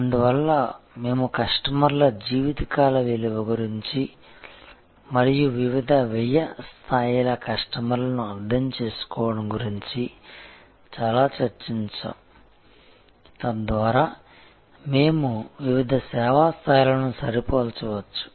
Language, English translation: Telugu, And therefore, we had discussed a lot about customer’s life time value and understanding customers of different cost levels, so that we can match different service levels